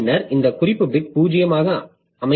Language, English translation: Tamil, And then this reference bit is set to zero